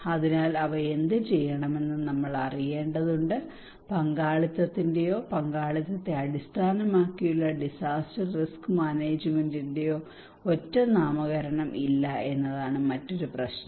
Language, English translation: Malayalam, So we need to know what to do them, another problem is that there is no single nomenclature of participations or participatory based disaster risk management